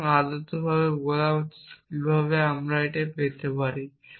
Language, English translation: Bengali, So, ideally I should say how would I get this